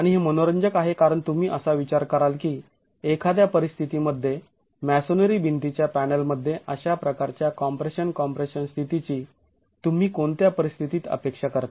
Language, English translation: Marathi, And it's interesting because you will think in what conditions would you expect this, I mean this sort of a compression compression state occurring in a masonry wall panel